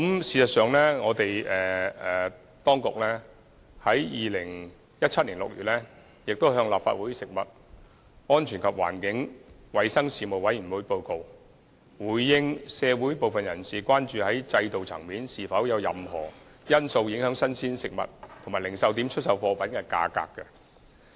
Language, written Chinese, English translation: Cantonese, 事實上，當局在2017年6月已向立法會食物安全及環境衞生事務委員會作出報告，回應社會部分人士提出的關注，探討是否有任何制度層面的因素會影響新鮮食物及零售點出售貨品的價格。, In fact the authorities reported to the Panel on Food Safety and Environmental Hygiene of the Legislative Council in June 2017 in response to concerns raised by some members of the public . The report studied if prices of fresh food and retail goods were affected by systemic factors